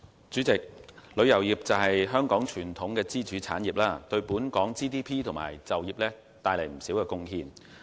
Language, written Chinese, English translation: Cantonese, 主席，旅遊業是香港傳統支柱產業，對本港 GDP 和就業帶來不少貢獻。, President as a traditional pillar industry of Hong Kong the tourism industry has contributed significantly to local GDP and employment